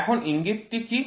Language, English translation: Bengali, Now, what is the hint